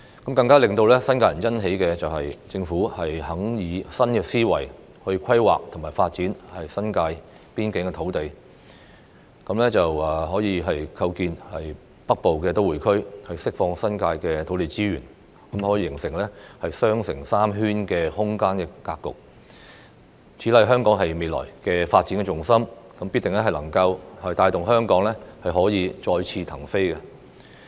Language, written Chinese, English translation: Cantonese, 更令新界人欣喜的是，政府願意以新思維規劃和發展新界邊境土地，構建北部都會區，並釋放新界土地資源，形成"雙城三圈"的空間格局。此乃香港未來的發展重心，定必能帶動香港再次騰飛。, What is even more gratifying to the people living in the New Territories is that the Government is willing to adopt a new mindset to plan and develop the New Territories boundary area for the making of the Northern Metropolis . Meanwhile land resources in the New Territories will then be freed up to form a spatial structure of Twin Cities Three Circles Foreword which will be the focus of Hong Kongs future development and will definitely drive Hong Kong to fly high again